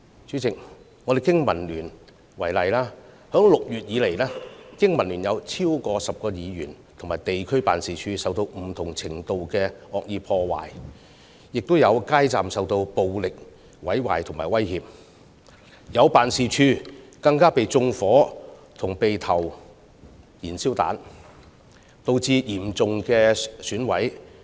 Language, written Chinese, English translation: Cantonese, 主席，以經民聯為例，自6月以來，經民聯有超過10名議員和地區辦事處受到不同程度的惡意破壞，亦有街站受暴力毀壞和威脅，更有辦事處被縱火及投擲燃燒彈，損毀嚴重。, President in the case of BPA for example the district offices of over 10 DC members of BPA have suffered malicious vandalism of varying degrees since June and their street counters have been violently damaged and come under intimidation . Worse still some of our offices have even turned into the target of arson and petrol bomb attacks and sustained serious damage